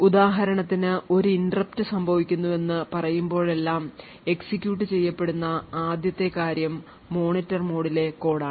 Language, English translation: Malayalam, So for example whenever there is let us say that an interrupt occurs the first thing that gets executed is code present in the Monitor mode